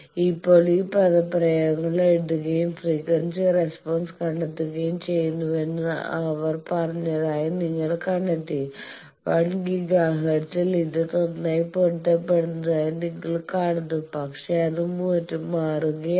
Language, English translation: Malayalam, Now, you find out that they said that write these expressions and find the frequency response it is like this you see that at 1 Giga hertz it is good match, but then it is changing